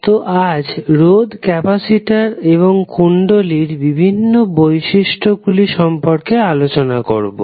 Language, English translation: Bengali, So, today we will discuss the various properties of resistors, capacitors, and inductors